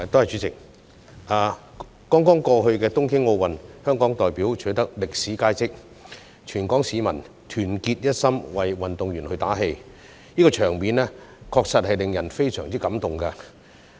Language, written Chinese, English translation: Cantonese, 在剛剛過去的東京奧運，香港代表取得歷史佳績，全港市民團結一心為運動員打氣，場面確實令人非常感動。, The Hong Kong delegation has achieved unprecedented results in the recent Tokyo Olympic Games and it was touching to see all Hong Kong people cheer for our athletes with one heart